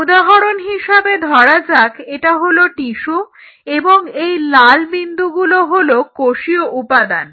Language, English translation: Bengali, So, say for example, this is the tissue and these are the cellular elements in the red dots right